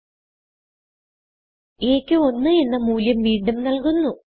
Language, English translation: Malayalam, We now again assign the value of 1 to a